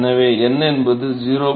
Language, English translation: Tamil, So, n is 0